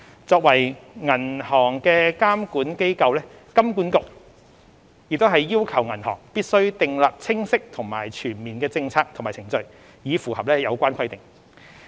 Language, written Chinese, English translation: Cantonese, 作為銀行的監管機構，金管局也要求銀行必須訂立清晰及全面的政策和程序，以符合有關規定。, HKMA as a regulator for banks requires banks to have clear and comprehensive policies and procedures to ensure compliance with the relevant requirements